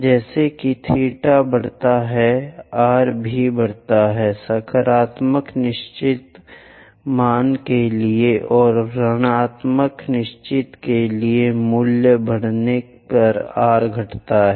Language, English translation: Hindi, As theta increases, r also increases, for a positive definite a value and for a negative definite a value r decreases as theta increases